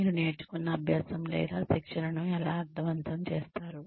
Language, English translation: Telugu, How do you make any type of learning or training meaningful